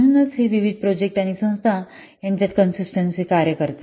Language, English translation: Marathi, So it acts as a consistent measure among different projects and organizations